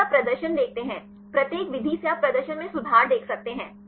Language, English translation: Hindi, If you see the performance; each method you can see improvement of performance